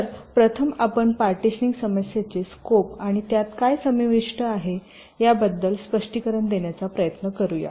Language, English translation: Marathi, so let us first try to explain this scope of the partitioning problem and what does it involve